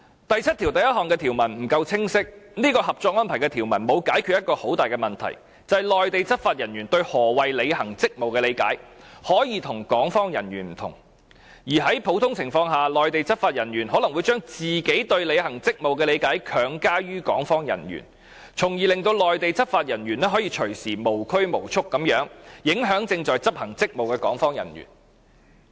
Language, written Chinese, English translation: Cantonese, 第七1條的條文不夠清晰，因為這項《合作安排》的條文沒有解決一個很大的問題，就是內地執法人員對何謂履行職務的理解，可以和港方人員不同，而在普通情況下，內地執法人員可能會將自己對履行職務的理解強加於港方人員，從而令內地執法人員可隨時無拘無束地影響正在執行職務的港方人員。, Article 71 is unclear . This provision under the Co - operation Arrangement fails to address a major problem that is the possible difference in the interpretation of performing duties between Mainland law enforcement officers and personnel of the Hong Kong authorities . Under general circumstances Mainland law enforcement officers may impose their interpretation of performing duties on personnel of the Hong Kong authorities so that Mainland law enforcement officers may influence freely personnel of the Hong Kong authorities who are performing their duties